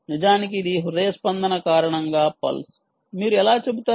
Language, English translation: Telugu, indeed, this is a pulse due to the heartbeat